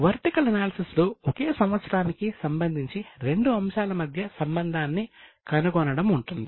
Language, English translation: Telugu, In vertical analysis this involves finding out the relationship between two items in respect of the same year